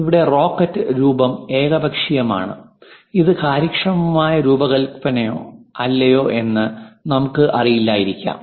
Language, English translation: Malayalam, Here the rocket shape is arbitrary, whether this might be efficient design or not, we may not know